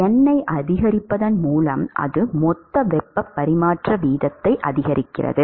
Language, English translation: Tamil, So, what happens when n increases is the heat transport rate increases